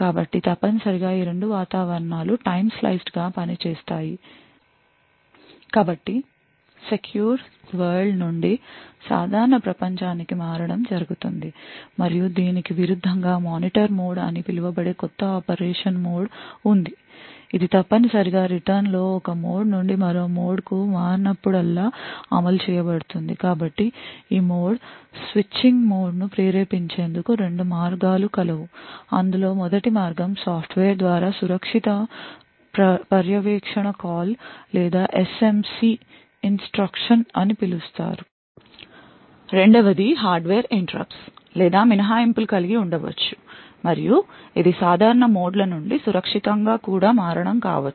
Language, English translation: Telugu, So essentially this two environments work in a time sliced manner so there is switch from the secure world to the normal world and vice versa further there is a new mode of operation that has been introduced known as Monitor mode which essentially gets invoked whenever there is a switch from one mode to another on return so there are two ways in which this mode switching is triggered by first way is by software by an instruction known as the Secure Monitoring Call or this SMC instruction second you could also have hardware interrupts or exceptions which occur and this could also be to switching from of modes from normal to secure